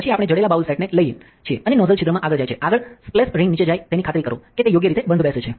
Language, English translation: Gujarati, Then we take the inlay set the bowl here the nozzle goes into the hole down here in front, the splash ring the protruding side goes downwards make sure that its fits correctly